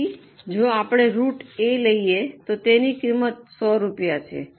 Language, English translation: Gujarati, So, if we take root A, the cost is 100 rupees